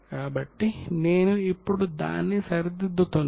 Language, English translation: Telugu, So, I have now corrected it